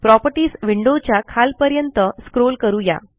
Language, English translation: Marathi, Now let us scroll to the bottom in the Properties window